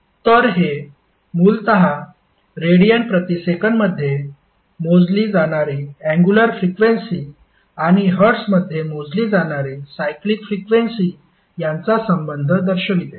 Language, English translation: Marathi, So, this is basically the relationship between angular frequency that is measured in radiance per second and your cyclic frequency that is measured in hertz